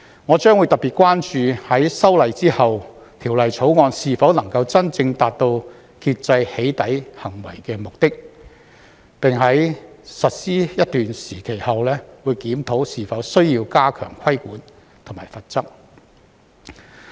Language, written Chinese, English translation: Cantonese, 我將會特別關注在修例後，《條例草案》是否能夠真正達到遏制"起底"行為的目的，並在實施一段時期後檢討是否需要加強規管和罰則。, After the amendment to the law I will pay particular attention to whether the law can really achieve the purpose of curbing doxxing and the authorities should review the need to step up the regulation and penalty after a period of implementation . There are some concerns about this issue